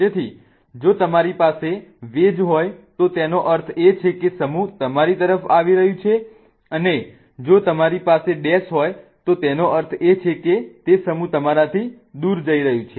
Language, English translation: Gujarati, So, if you have a wedge meaning the group is coming towards you, if you have a dash that means that group is going away from you